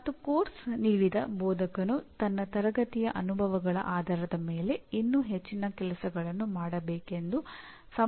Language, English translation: Kannada, And the instructor who offered the course will fully understand based on his classroom experiences what more things to be done